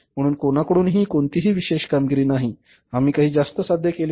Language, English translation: Marathi, So, there is no special achievement on the part of anybody and we have not achieved anything extra